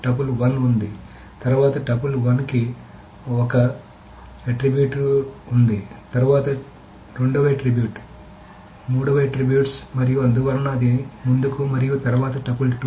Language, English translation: Telugu, So there is triple one, then triple oneple 1 has attribute 1, then attribute 2, attribute 2, and after that it's tuple 2